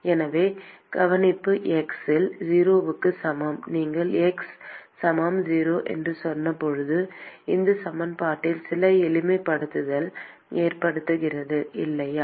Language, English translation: Tamil, So, the observation is: at x equal to 0 when you said x equal to 0, then there is some simplification that occurs on this equation, right